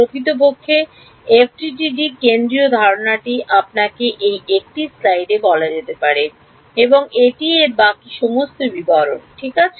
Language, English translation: Bengali, In fact, the central idea of FDTD can be told to you in this one slide and that is it the rest of it are all just details ok